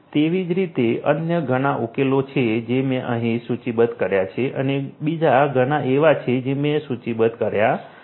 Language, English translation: Gujarati, Likewise, there are different different other solutions that I have listed over here and there are many more that I have not listed